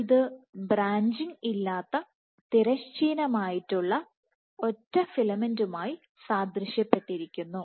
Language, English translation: Malayalam, So, this is corresponding to horizontal filament single filament without branching